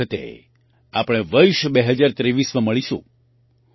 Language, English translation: Gujarati, Next time we will meet in the year 2023